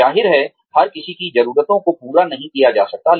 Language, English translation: Hindi, Obviously, everybody's needs, cannot be catered to